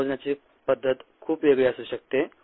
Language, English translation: Marathi, the way you measure rate could be very different